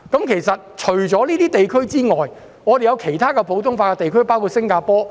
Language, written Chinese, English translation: Cantonese, 其實，除了這些地區，還有其他普通法地區，包括新加坡。, In fact apart from these regions there are other common law jurisdictions such as Singapore